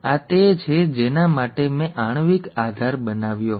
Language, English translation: Gujarati, This is what I had shown the molecular basis for